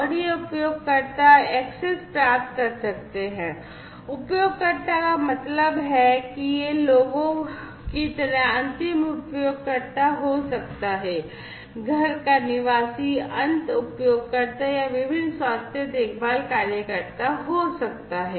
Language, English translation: Hindi, And these users can get access users means it could be the end users like, you know, the people you know the residents of the home end users or, it could be the different you know health care workers, right